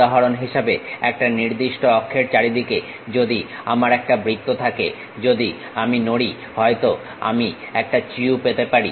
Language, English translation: Bengali, For example, if I am having a circle around certain axis if I am moving maybe I might be going to get a chew